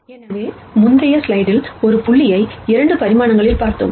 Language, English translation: Tamil, So, in the previous slide we saw one point in 2 dimensions